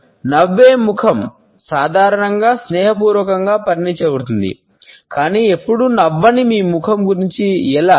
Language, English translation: Telugu, ‘A face that smiles’ is normally considered to be friendly, but what about your face which never smiles